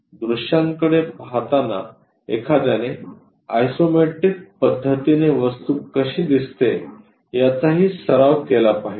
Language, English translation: Marathi, So, looking at views also one should really practice how the object really looks like in isometric way